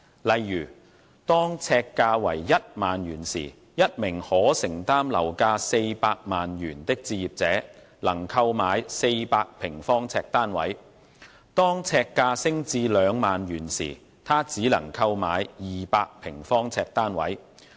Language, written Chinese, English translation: Cantonese, 例如，當呎價為1萬元時，一名可承擔樓價400萬元的置業者能購買400平方呎單位；當呎價升至兩萬元時，他只能購買200平方呎單位。, For instance when the per - square - foot price is 10,000 a home buyer who can afford a property price of 4 million will be able to buy a flat of 400 square feet; when the per - square - foot price rises to 20,000 he can only buy a flat of 200 square feet